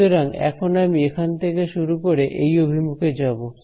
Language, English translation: Bengali, Now I want to so let us start from here and go in this direction